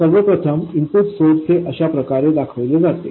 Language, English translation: Marathi, First of all, the input source is represented like this